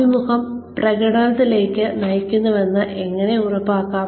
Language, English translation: Malayalam, How to ensure, that the interview leads to performance